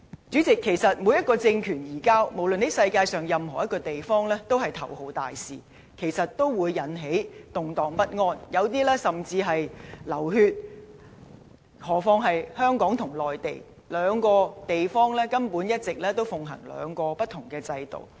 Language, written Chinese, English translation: Cantonese, 主席，每一個政權移交，無論在世界上任何一個地方，都是頭號大事，都會引起動盪不安，有些甚至流血，更何況是香港與內地，兩個地方一直奉行兩個不同制度。, President whenever there is a transfer of sovereignty disregarding where it takes place it is a big event and more often than not it will lead to turmoil and even bloodshed . The situation is even more acute in Hong Kong for the political systems in Hong Kong and the Mainland are completely different